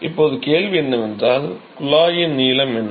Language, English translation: Tamil, Now question is, what is the length of the tube